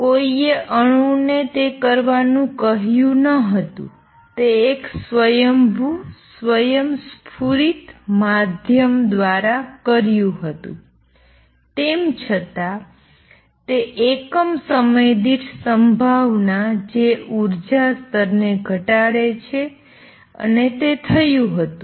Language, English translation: Gujarati, Nobody told the atom to do it, it did it a spontaneously spontaneous means by itself it just though the probability per unit time that decay to lower energy level and it did